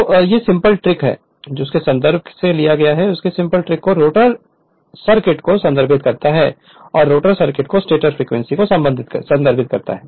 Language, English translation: Hindi, So, this simple trick refers to the rotor circuit to the stator frequency